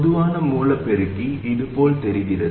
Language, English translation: Tamil, The common source amplifier looks like this